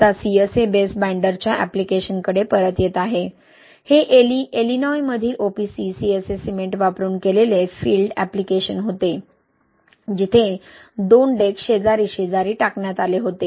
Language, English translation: Marathi, Now, coming back to the application of CSA base binder, this was a field application done using OPC CSA cement in Illinois, where two decks were cast side by side